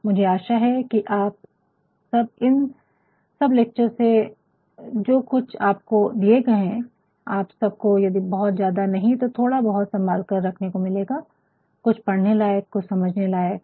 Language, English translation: Hindi, And, I hope, you will all with all these lectures that have been delivered, you will get if not too much you will get something that is worth preserving, something that is worth reading something that is worth understanding